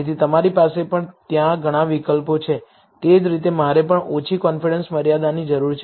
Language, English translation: Gujarati, So, you have several options in there similarly, I also need a lower confidence limit